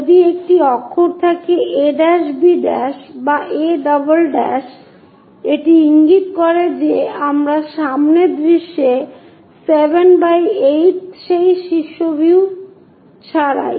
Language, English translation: Bengali, If there is a letter a’ b’ or a’ it indicates that we are on the front view, without’ we are on that top view